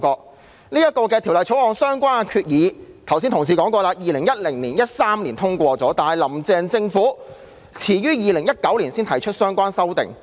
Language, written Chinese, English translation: Cantonese, 剛才有議員提過，《條例草案》相關的決議在2010年、2013年已獲通過，但"林鄭"政府到2019年才提出相關修訂。, As some Members mentioned just now the resolutions relating to the Bill were adopted in 2010 and 2013 but it was not until 2019 that the Carrie LAM Administration introduced the amendments concerned